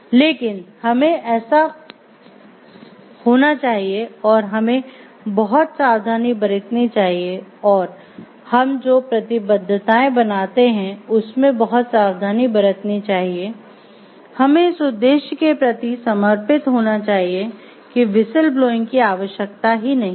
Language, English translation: Hindi, But we should be so, much careful in our efforts we should be so, much careful in the commitments that we make, we should much so, much we dedicated towards the objective that what the need for whistle blowing should not arise